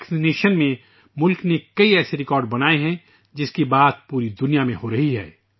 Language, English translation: Urdu, With regards to Vaccination, the country has made many such records which are being talked about the world over